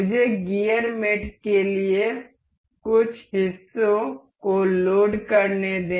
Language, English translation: Hindi, Let me load just some of the parts for gear mates